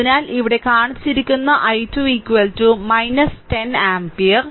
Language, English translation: Malayalam, So, i 2 is equal to minus 10 ampere that is shown here i 2 is equal to minus 10 ampere